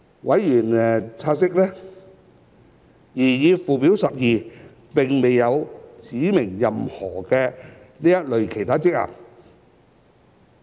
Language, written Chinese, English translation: Cantonese, 委員察悉，擬議附表12並未有指明任何這類其他職能。, Members have noted that no such other functions have so far been specified in the proposed Schedule 12